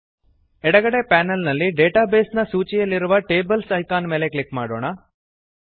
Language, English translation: Kannada, Let us click on the Tables icon in the Database list on the left panel